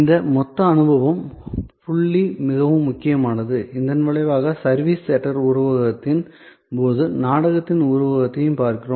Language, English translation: Tamil, This total experience point is very important, as a result we also look at the metaphor of theater in case of service theater metaphor